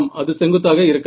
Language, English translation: Tamil, Yeah that is are not vertical